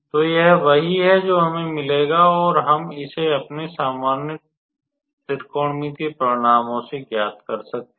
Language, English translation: Hindi, So, this is what we will get, and we can calculate this one from our usual trigonometrical results